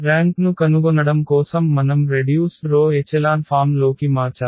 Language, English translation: Telugu, For finding the rank we have to convert to the row reduced echelon form